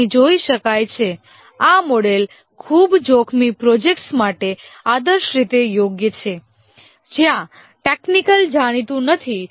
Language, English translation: Gujarati, As can be seen here, this model is ideally suited for very risky projects where the technology is not known